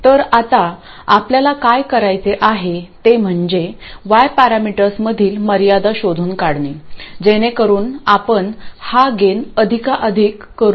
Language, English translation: Marathi, So, now what we want to do is find out the constraints on Y parameters so that we maximize this gain